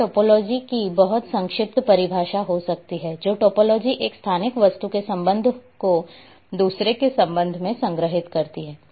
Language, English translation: Hindi, Or may be a very brief definition of topology that topology stores the relationship of one spatial object with respect to another